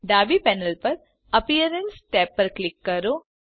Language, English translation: Gujarati, On the left panel, click on the Appearance tab